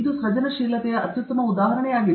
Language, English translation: Kannada, This is also an instance of creativity